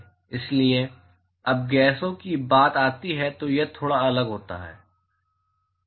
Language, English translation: Hindi, So, when it comes to gases it is slightly different